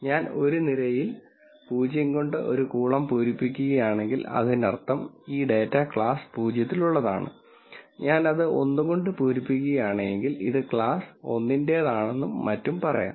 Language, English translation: Malayalam, If I fill a column with row with 0 then that means, this data belongs to class 0 and if I fill it 1 then let us say this belongs to class 1 and so on